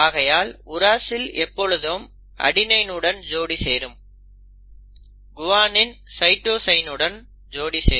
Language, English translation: Tamil, The uracil will always pair with an adenine and guanine will always pair with a cytosine; that is the complementarity